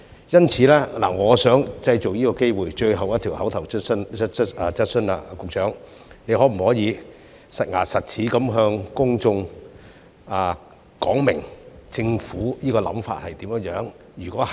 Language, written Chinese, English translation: Cantonese, 因此，我想藉最後一項口頭質詢的機會，詢問局長可否"實牙實齒"地向公眾說明政府的想法如何？, Therefore I would like to take this opportunity of the last oral question to ask the Secretary to explain in no uncertain terms to the public what the Government thinks